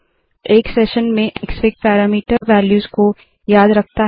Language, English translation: Hindi, Within a session, Xfig remembers the parameter values